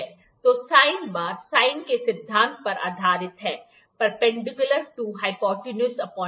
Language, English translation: Hindi, So, the sine bar is based upon the principle of the sine; perpendicular to hypotenuse upon base